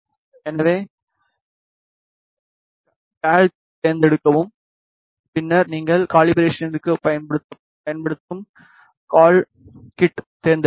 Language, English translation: Tamil, So, select cal then you should selected cal kit that you are using for the calibration